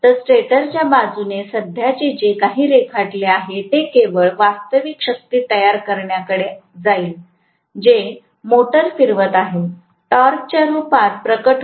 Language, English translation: Marathi, So whatever is the current drawn from the stator side only will go towards producing real power, which is in manifested in the form of torque, which is rotating the motor